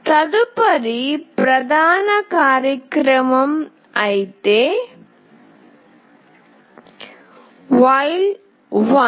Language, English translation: Telugu, Next is the main program in the while